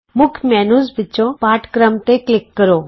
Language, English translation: Punjabi, In the Main menu, click Lessons